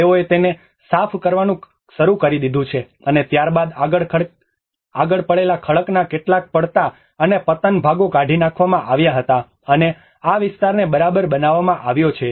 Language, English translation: Gujarati, They have started clearing it, and then there are already some fallen and collapsed parts of rock lying in front were removed and the area has been leveled up